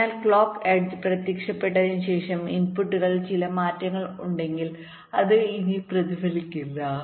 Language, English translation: Malayalam, so, after the clock edge appears, if there are some changes in the inputs, that will no longer be reflected